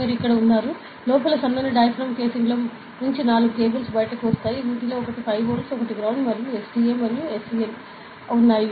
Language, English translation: Telugu, So, you have here, the casing with the thin diaphragm inside and four cables come out of these, out of which one is 5 volt, one is ground and their and there is SDA and SCL ok